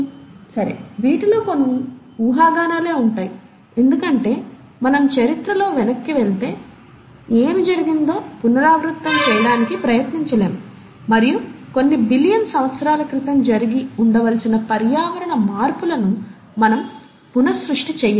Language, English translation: Telugu, Well, a lot of these are speculations because we cannot go back in history and try to redo what has been done, and we can't recreate a lot of environmental changes which must have happened a few billion years ago